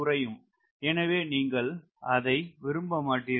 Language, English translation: Tamil, so you do not like that